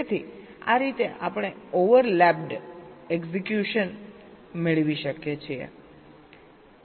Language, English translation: Gujarati, so in this way we can get overlapped execution